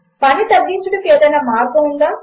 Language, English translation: Telugu, Is there a way to reduce the work